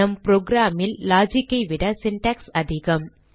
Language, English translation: Tamil, There is more syntax than logic in our program